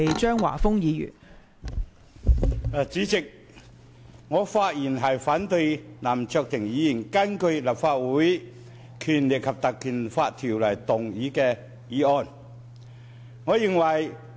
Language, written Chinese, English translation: Cantonese, 代理主席，我發言反對林卓廷議員根據《立法會條例》動議的議案。, Deputy President I rise to speak against the motion moved by Mr LAM Cheuk - ting under the Legislative Council Ordinance